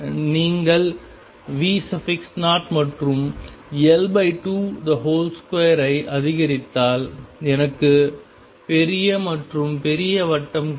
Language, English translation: Tamil, If you increase V naught and L naught by 2 square I get bigger and bigger circle